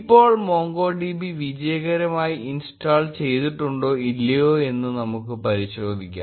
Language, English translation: Malayalam, Now, let us check whether MongoDB has been successfully installed or not